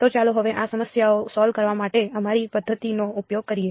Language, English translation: Gujarati, So, now let us use our method of moments approach to solve these problems ok